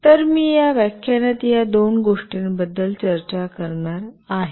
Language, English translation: Marathi, So, I will be discussing these two things in this lecture